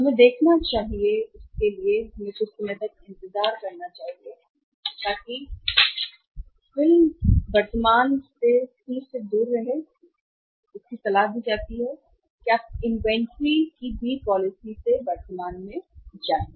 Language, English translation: Hindi, We should look for this we should wait for sometime so rather than movie stay away from current to C is advisable that you move from the current to B policy of inventory